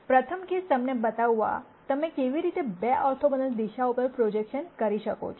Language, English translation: Gujarati, Now as the first case I am going to show you how you do projections on 2 orthogonal directions